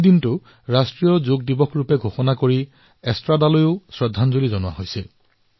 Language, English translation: Assamese, There, the 4th of November has been declared as National Yoga Day